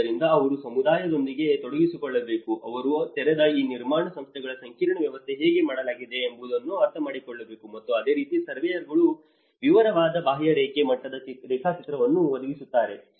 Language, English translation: Kannada, So, they have to engage with the community, they have to understand how the open and build spaces have been networked and similarly the surveyors provide a detailed contour level mapping